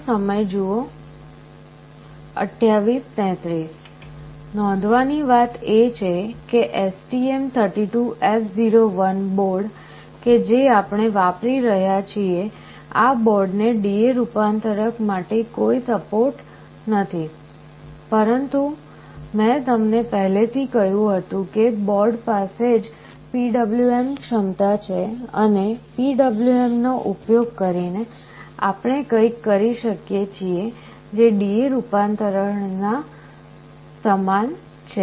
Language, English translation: Gujarati, The point to note is that for the STM32F01 board that we are using, this board does not have any support for D/A converter, but I told you the board already has PWM capability and using PWM also we can do something which is very much similar to D/A conversion